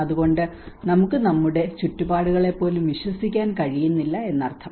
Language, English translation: Malayalam, So which means we are even not able to trust our own surroundings